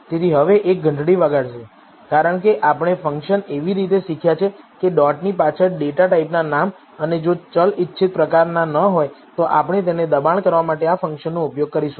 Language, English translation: Gujarati, So, now this should ring a bell, because we have learned the function as dot followed by the name of the data type and we will use this function to coerce it if the variable is not of the desired type